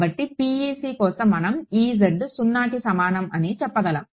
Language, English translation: Telugu, So, for PEC we can say that E z is equal to 0